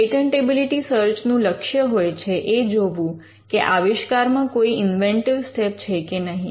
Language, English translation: Gujarati, Patentability searches are directed towards seeing whether an invention involves an inventive step